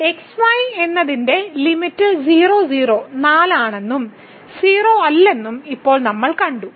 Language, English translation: Malayalam, And now, we have seen that this limit as goes to 0 is 4 and not 0